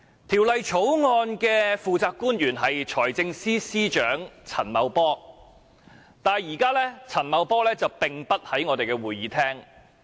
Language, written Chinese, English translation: Cantonese, 《條例草案》的負責官員是財政司司長陳茂波，但現時陳茂波並不在會議廳內。, The public officer responsible for the Bill is Financial Secretary Paul CHAN but he is not in the Chamber now